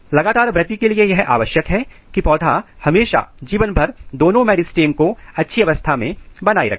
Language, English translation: Hindi, For having continues growth it is very important that plant always maintains the both the meristems throughout their life